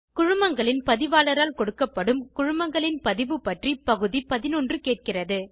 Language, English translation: Tamil, Item 11 asks for the registration of companies, issued by the Registrar of Companies